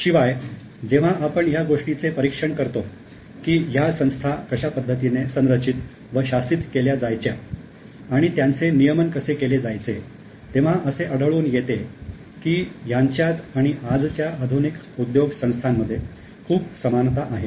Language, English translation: Marathi, Moreover, when we examine how these entities were structured, governed and regulated, we find that they bear many similarities to modern day corporations